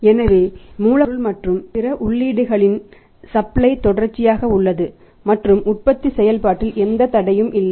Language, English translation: Tamil, So, that supply of the raw material and other inputs remains continuous and there is no interruption in the manufacturing process